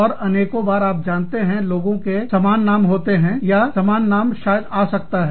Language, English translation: Hindi, And, so many times, the same, you know, people with similar names, or, the same names, may come up